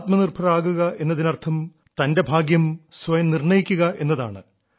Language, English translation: Malayalam, He believes that being selfreliant means deciding one's own fate, that is controlling one's own destiny